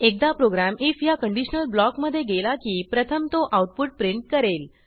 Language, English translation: Marathi, Once the program enters the if conditional block, it will first print the output